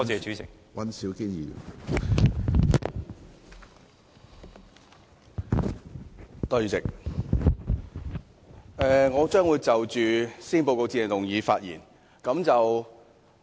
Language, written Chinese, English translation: Cantonese, 主席，我將會就施政報告致謝議案發言。, President I am going to speak on the Motion of Thanks for the Policy Address